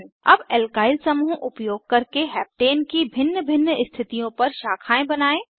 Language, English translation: Hindi, Now lets branch Heptane using Alkyl groups at various positions